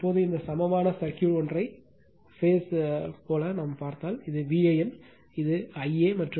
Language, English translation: Tamil, Now, if you see this equivalent circuit like a single phase, so this is V an, this is I a and Z y is equal to Z delta by 3 right